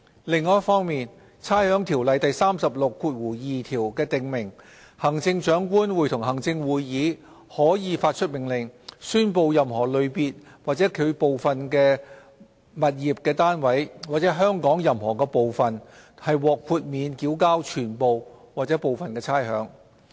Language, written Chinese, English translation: Cantonese, 另一方面，《差餉條例》第362條訂明，行政長官會同行政會議可發出命令，宣布任何類別或其部分的物業單位，或香港任何部分，獲豁免繳交全部或部分差餉。, On the other hand section 362 of the Rating Ordinance provides that the Chief Executive in Council may by order declare any class of tenements or parts thereof or any part of Hong Kong to be exempted from the payment of rates wholly or in part